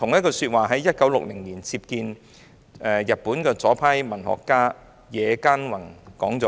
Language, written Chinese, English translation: Cantonese, "他在1960年接見日本左派文學家野間宏時亦說過同一番話。, In 1960 he repeated the same remark when he received Hiroshi NOMA the Japanese leftist writer